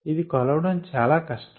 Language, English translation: Telugu, this is very difficult to measure